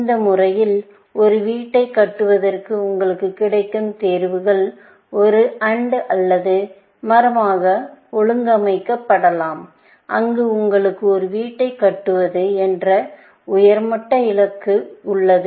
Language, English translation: Tamil, In this manner, the choices that available to you to construct a house, can be organized into an AND OR tree where, the top level, you have the high level goal, which is to construct a house